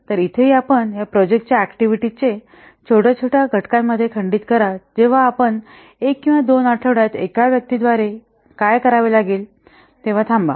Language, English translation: Marathi, So here similarly, you break the project activities into smaller and smaller components, then stop when you get to what to be done by one person in one or two weeks